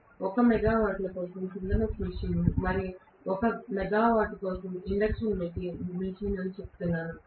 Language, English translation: Telugu, So, I say that 1 megawatt synchronous machine and 1 megawatt induction machine